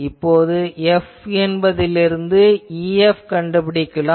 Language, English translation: Tamil, Then, from F find similarly E F